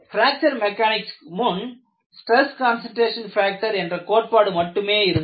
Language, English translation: Tamil, And before fracture mechanics, you had only the concept of stress concentration factor